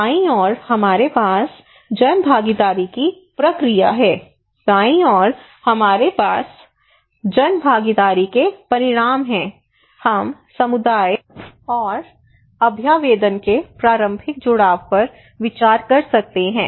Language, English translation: Hindi, On the left hand side we have process of public participation, on the right hand side, we have outcomes of public participation like for the process of public participations we may consider early engagement of the community and representations of